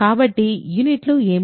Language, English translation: Telugu, So, what are the units of